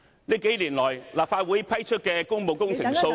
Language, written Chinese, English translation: Cantonese, 這數年來，立法會批出的工務工程數量......, In the last few years the number of public works projects approved by the Legislative Council